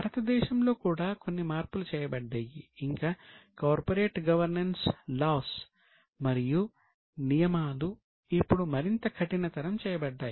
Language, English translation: Telugu, Including some changes were also made in India and corporate governance laws and rules today have been made much more stricter